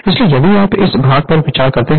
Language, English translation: Hindi, So, if you consider this part